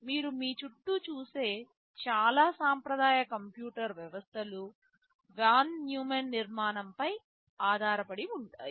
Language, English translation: Telugu, Most of the conventional computer systems that you see around us are based on Von Neumann architecture